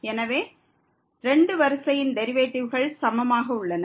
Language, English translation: Tamil, So, at several so the derivatives of 2 order are equal